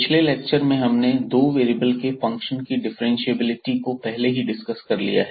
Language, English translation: Hindi, And today we will talk about again Differentiability of Functions of Two Variables